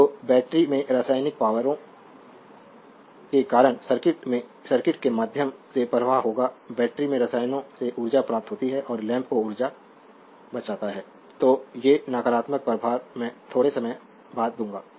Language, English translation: Hindi, So, will flow through the circuit due to the chemical forces in the battery the charge gains energy from chemicals in the battery and delivers energy to the lamp right; So, these negating charge I will come to little bit later